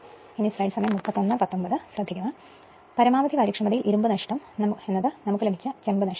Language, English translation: Malayalam, That means, my at maximum efficiency iron loss is equal to copper loss that we have derived